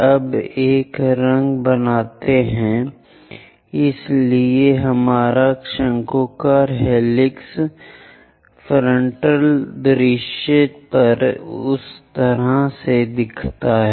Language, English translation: Hindi, Now make a color, so our conical helix looks in that way on the frontal view